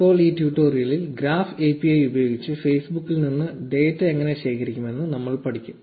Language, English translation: Malayalam, Now in this tutorial, we will learn how to collect data from Facebook using the graph API